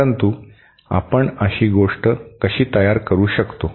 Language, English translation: Marathi, But how do we build such a thing